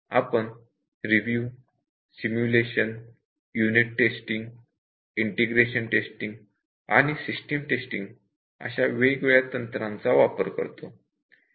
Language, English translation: Marathi, So, these are some of the techniques for verification and validation, verification we use review, simulation, unit testing, integration testing and system testing